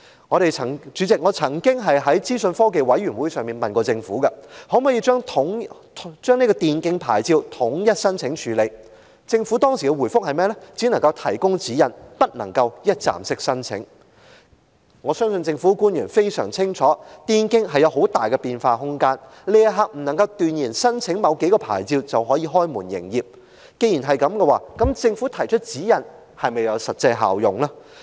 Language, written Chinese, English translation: Cantonese, 我曾經在資訊科技及廣播事務委員會上向政府提問，可否統一處理電競牌照的申請，政府當時的回覆是只能提供指引，不能一站式申請，我相信政府官員非常清楚，電競有很大的變化空間，目前不能斷言申請某幾種牌照便能開門營業，既然如此，政府提供的指引又是否有實際效用？, I once asked the Government at the meeting of the Panel on Information Technology and Broadcasting whether it could centrally handle applications for e - sports . The response of the Government at that time was that it could only provide guideline but not provide one - stop service for application . I believe government officials are well aware that e - sports has considerable room for changes and at present no one can say for sure what kind of licences are required for the operation of e - sport venues